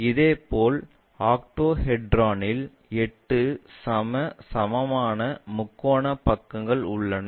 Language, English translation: Tamil, Similarly, the other ones in octahedron we have eight equal equilateral triangular faces